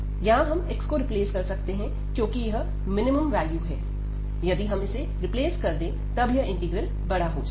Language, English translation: Hindi, So, here the x we can replace, because this is the minimum value if you replace this one, so that the integral will be the larger one